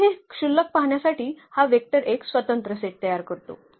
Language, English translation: Marathi, So, this trivial to see that this vector this set of vectors form a linearly independent set